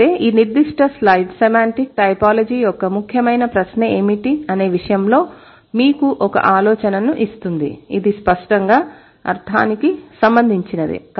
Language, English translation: Telugu, So, this particular slide would give you an idea what should be the central question of semantic typology, which is related to obviously related to meaning